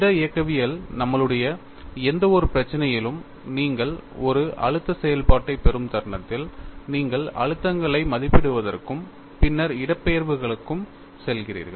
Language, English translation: Tamil, In one of our problems in solid mechanics, the moment you get a stress function, you simply go to evaluating the stresses and then to displacements